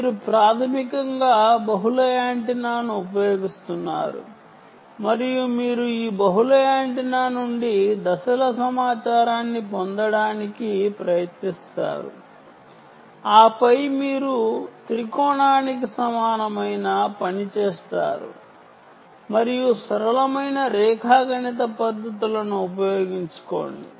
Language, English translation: Telugu, you basically use multiple antenna and you try to get the phase information from this multiple antenna and then you do a trilateration equivalent um and use simple geometrical techniques and you do ah